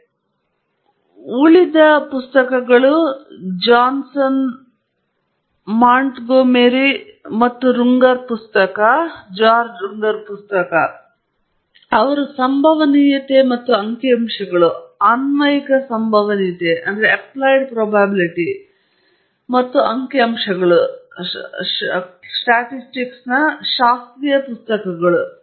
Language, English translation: Kannada, And the remaining three, at least the book by Johnson and Montgomery and Runger, they they are classical books in probability and statistics applied probability and statistics